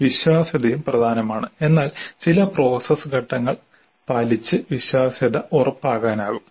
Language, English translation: Malayalam, So the reliability is also important but the reliability can be assured by following certain process steps